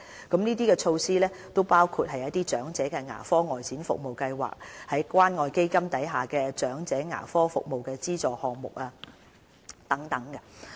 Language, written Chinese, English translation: Cantonese, 這些措施包括長者牙科外展服務計劃、關愛基金"長者牙科服務資助"項目等。, The initiatives include the Outreach Dental Care Programme for the Elderly and the Community Care Fund Elderly Dental Assistance Programme